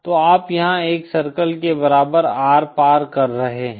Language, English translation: Hindi, So you are crossing the R equal to 1 circle here